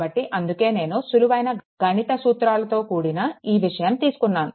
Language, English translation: Telugu, So, that is why I have taken this thing the small mathematics, right